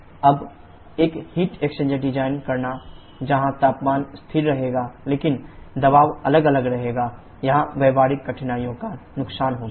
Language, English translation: Hindi, Now designing a heat exchanger where temperature will remain constant, but pressure will keep on varying, here that causes loss of practical difficulties